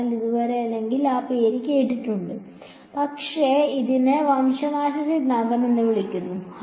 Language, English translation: Malayalam, So, far or even heard the name of, but this is called the extinction theorem ok